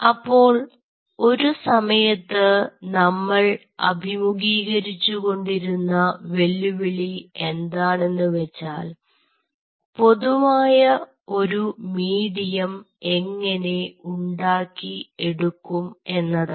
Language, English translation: Malayalam, so one of the challenge, what we were facing at that point of time, was how to develop a common medium